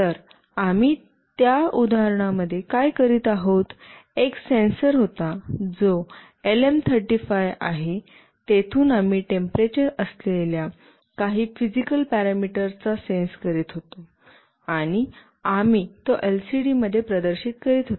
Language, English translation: Marathi, So, what we were doing in that example, there was a sensor that is LM35 from where we were sensing some physical parameter that is temperature, and we were displaying it in the LCD